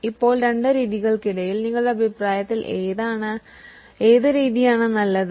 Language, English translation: Malayalam, Now, between the two methods, which method is better in your opinion